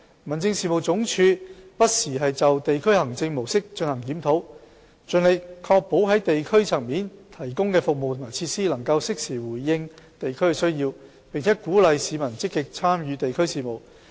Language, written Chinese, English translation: Cantonese, 民政事務總署不時就地區行政模式進行檢討，盡力確保在地區層面提供的服務和設施能夠適時回應地區需要，並鼓勵市民積極參與地區事務。, The Home Affairs Department HAD reviews the model of district administration from time to time striving to ensure that services and facilities provided at the district level can promptly respond to the needs of the districts and encourage active participation of the public in district affairs